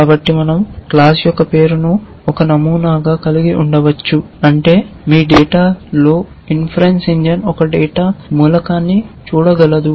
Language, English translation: Telugu, So, we can have just a name of the class as a pattern which means that if the inference engine can see one data element in your data